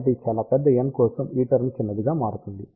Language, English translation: Telugu, So, for very large n this term will become small